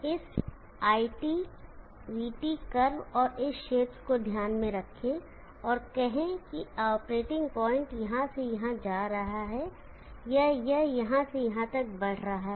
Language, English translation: Hindi, Consider this IT, VT curve, and consider this region, let us say the operating point is moving from here to here, or it moving from here to here